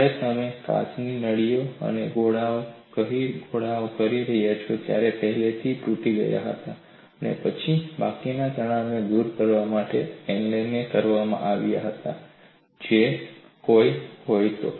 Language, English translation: Gujarati, When you say the glass tubes and spheres, they were pre cracked and then annealed to eliminate residual stresses, if any